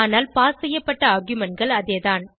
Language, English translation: Tamil, But the arguments passed are same